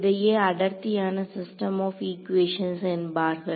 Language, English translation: Tamil, So, it was the dense system of equations